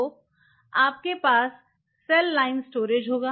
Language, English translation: Hindi, So, you will have cell line storage